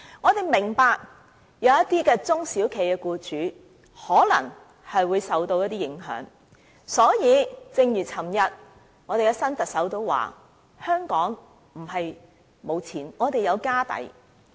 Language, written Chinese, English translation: Cantonese, 我們明白這樣做可能令一些中小型企業僱主受到影響，但正如昨天新特首所指，香港並非沒有錢，我們是有"家底"的。, We understand that it will affect some employers of small and medium enterprises SMEs . But just as the new Chief Executive said yesterday Hong Kong does not lack money and we are still financially sound